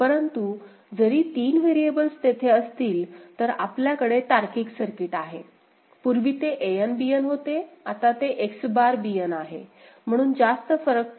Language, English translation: Marathi, But, even if 3 variables are there, the circuit that you have is, the logic is, earlier it was An Bn, now it is X bar Bn, so that way it is not making too much difference ok